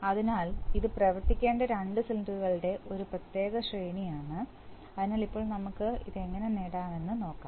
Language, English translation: Malayalam, So, this is a particular sequence of two cylinder which have, which have to be operated, so now we will see how we can achieve this one, right